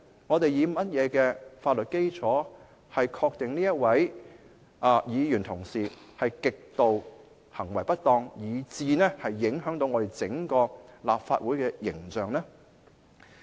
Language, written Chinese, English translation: Cantonese, 我們以甚麼法律基礎確定這位議員的行為極度不當，以致影響整個立法會的形象呢？, On what legal basis can we establish that the conduct of this Member was grossly disorderly to the extent of prejudicing the image of the entire Legislative Council?